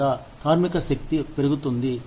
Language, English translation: Telugu, Whether, the workforce is growing